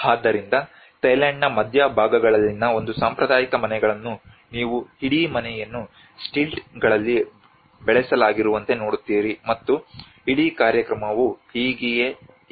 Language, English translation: Kannada, So this is how a traditional houses in the central parts of Thailand which you see like you have the whole house is raised in stilts, and that is how the whole program